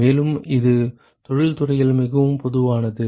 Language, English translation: Tamil, And this is very very common in industry